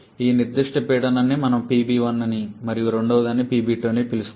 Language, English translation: Telugu, Let us say this particular pressure we term as PB 1 and the second one we term as PB 2